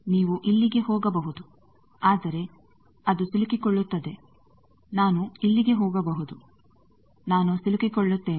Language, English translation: Kannada, You can go here, but then it will stuck; I can go here I will get stuck